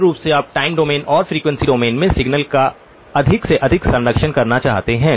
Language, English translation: Hindi, Basically, you want to preserve as much of the signal both in the time domain and in the frequency domain as possible